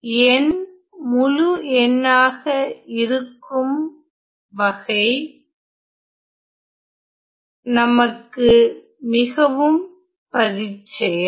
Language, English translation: Tamil, So, we are very much familiar when n is integer